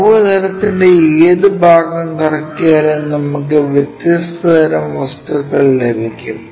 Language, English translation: Malayalam, And, any part of the curve plane if we revolve it, we will get different kind of objects